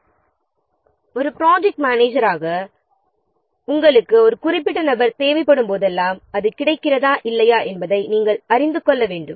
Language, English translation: Tamil, Whenever the project manager or whenever you as a project manager need a particular individual, you should know whether that is available or not